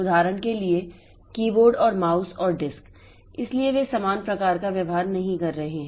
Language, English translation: Hindi, For example the keyboard and mouse and the disk so they are not having similar type of behavior